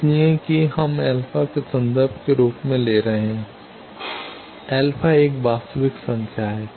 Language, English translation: Hindi, So, that one we are taking as reference to alpha alpha is a real number